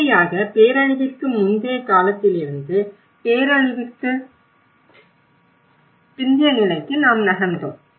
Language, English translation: Tamil, And from here, we moved on with the stagewise disaster from pre disaster to the post disaster